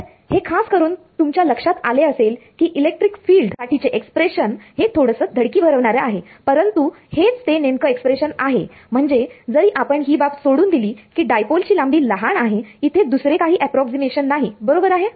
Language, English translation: Marathi, So, this is the especially you get you notice that the expression for the electric field is fairly scary looking, but this is the exact expression that is there are apart from the fact that the length of the dipole is small there is no other approximation here right